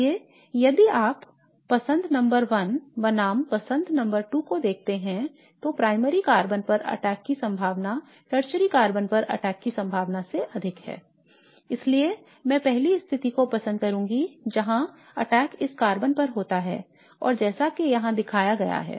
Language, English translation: Hindi, So if you look at choice number one versus choice number two, the attack on the carbon which is a primary carbon is more likely than attack on the carbon which is a tertiary carbon